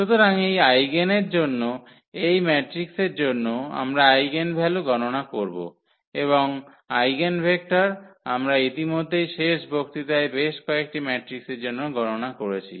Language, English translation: Bengali, So, for this eigen, for this matrix we will compute the eigenvalue and eigenvectors we have already computed for several matrices in the last lecture